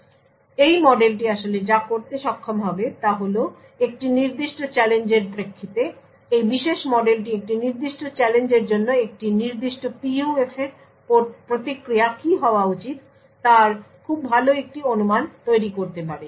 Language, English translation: Bengali, So what this model would be actually capable of doing is that given a particular challenge this particular model could create a very good estimate of what the response for a particular PUF should be for that specific challenge